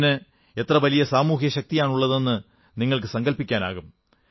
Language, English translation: Malayalam, You can well imagine the social strength this statement had